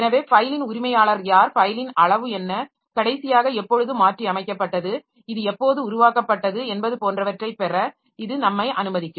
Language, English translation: Tamil, So, that will be allowing us to get who is the owner of the file, what is the size of the file, when was it created, when was it last modified, etc